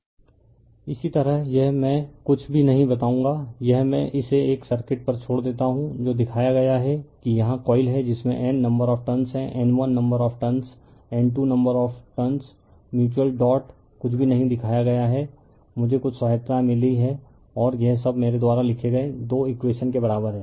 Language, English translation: Hindi, Similarly this one I will not tell you anything this I leave it to you a circuit is shown right that you are that is coil here you have N number of turns a N 1 number of turns, N 2 number of turns mutual dot nothing is shown something you put, I am aided something and all this equal two equations I have written right